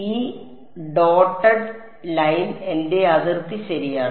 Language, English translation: Malayalam, This dotted line is my boundary ok